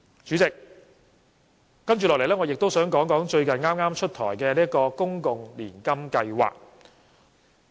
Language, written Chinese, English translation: Cantonese, 主席，接下來，我也想談談剛出台的公共年金計劃。, President I would also like to talk about the public annuity scheme which has just been introduced